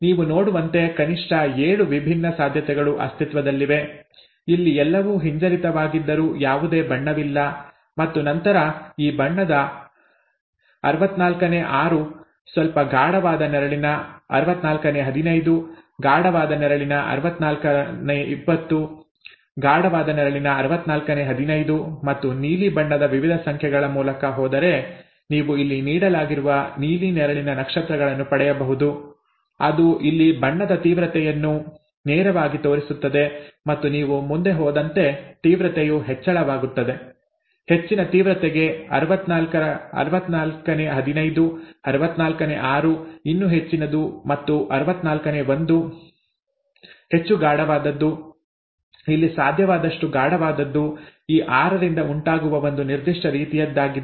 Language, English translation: Kannada, As you could see at least 7 different possibilities exist, no colour at all when everything is recessive here and then 6 by 64 of this colour, 15 by 64 of a slightly darker shade, 20 by 64 of a darker shade, 15 by 64 of a darker shade and this can be obtained if you do, if you go through the various numbers of the blue, bluely shaded stars that are given here, that would directly show the intensity of the colour here and as you go along the intensity increases, 15 by 64 for higher intensity, 6 by 64 even higher and 1 by 64 the darkest, the darkest possible here that arises of all these 6 are of a certain kind, okay